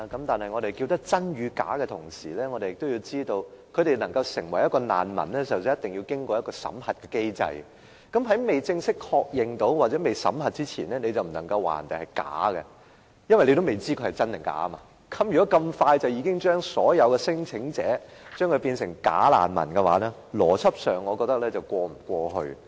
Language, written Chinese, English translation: Cantonese, 但是我們說真與假的同時，也要知道他們能夠成為一名難民之前，必須經過一個審核的機制，而在正式確認或審核之前，是不能夠說別人是假的，因為尚未知真假，如果這麼快便將所有聲請者歸類為"假難民"，我覺得邏輯上是說不過去。, However when we are talking about bogus and genuine refugees we need to know that before they can become refugees they have to go through a screening mechanism . Before they are formally verified or screened we cannot say that they are bogus as we still do not know whether they are bogus or not . I think if we categorize them as bogus refugees so soon we cannot possibly pass the test of logic